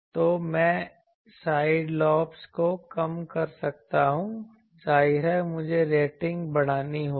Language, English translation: Hindi, So, I can reduce the side lobes; obviously, I will have to increase the rating